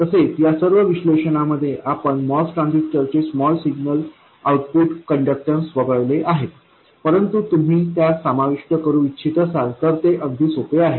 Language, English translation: Marathi, By the way, in all of this analysis we have omitted the small signal output conductance of the MOS transistor but if you do want to include it it is very easy